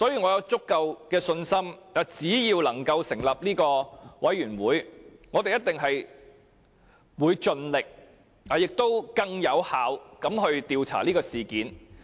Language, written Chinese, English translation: Cantonese, 我有足夠的信心，如果我們能夠成立專責委員會，我們一定會盡力以更有效的方式調查事件。, I am fully confident that if we can set up a select committee we will definitely do our best to inquire into the incident in a more effective way